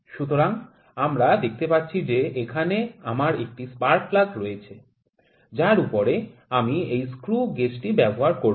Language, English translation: Bengali, So, we can see I have a spark plug here on which I will apply this screw gauge